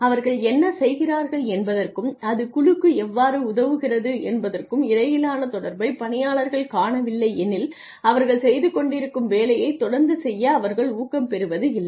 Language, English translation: Tamil, If people do not see the link between what they are doing and how it is helping the team, then they are not so motivated to keep doing the work that they are doing